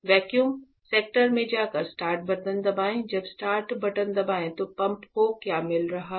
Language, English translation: Hindi, So, going to the vacuum sector press start button when press start button what a pump is getting a